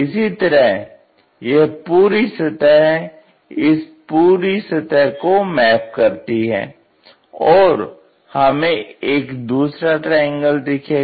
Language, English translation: Hindi, Similarly, this the entire surface maps to this entire surface and we will see another one